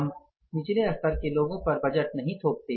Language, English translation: Hindi, We don't impose the budget on the lower level people